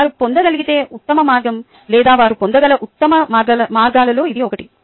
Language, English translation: Telugu, ok, thats the best way that they can get it, or one of the best ways that they can get it